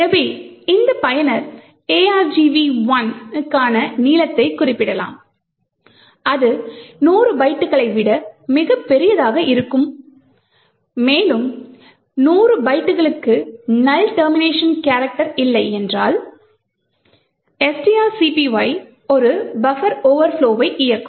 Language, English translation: Tamil, So, this user could specify any length for argv 1 which could be much larger than 100 bytes and if there is no null termination character within the 100 bytes string copy will continue to execute an overflow buffer